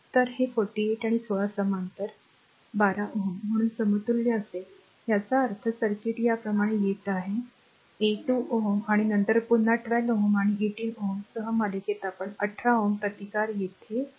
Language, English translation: Marathi, So, this 48 and 16 will be parallel equivalent is becoming 12 ohm right so; that means, the circuit is coming like this is your 12 ohm and then again 12 ohm is in series with 18 ohm because 18 ohm resistance is here